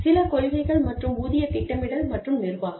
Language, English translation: Tamil, Some policies and pay planning and administration